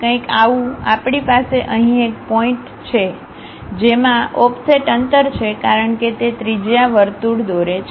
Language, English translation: Gujarati, Something like, we have a point here with an offset distance as radius draw a circle